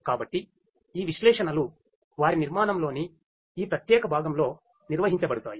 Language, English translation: Telugu, So, this analytics is performed in this particular component of this their architecture